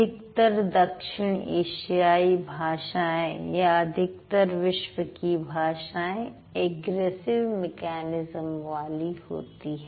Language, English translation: Hindi, Most of the South Asian languages or most of the world's languages, they follow egressive mechanism